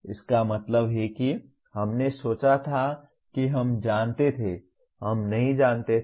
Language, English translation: Hindi, That means what we thought we knew, we did not know